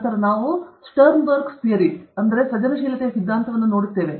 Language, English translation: Kannada, Then, we look at Sternberg’s theory of creativity